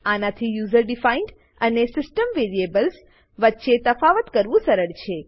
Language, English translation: Gujarati, * This makes it easy to differentiate between user defined and system variables